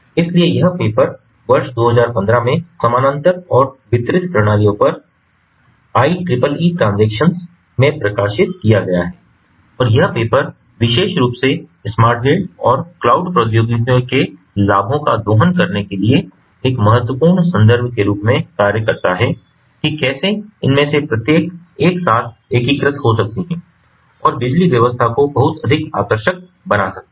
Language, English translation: Hindi, so this paper has been published in the i triple e: transactions on parallel and distributed systems in the year two thousand fifteen, and this particular paper basically serves as an important reference about how smart grid and cloud technologies can integrated together to harness the benefits of each of these and making the power system much more attractive